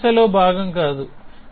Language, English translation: Telugu, It is not part of the language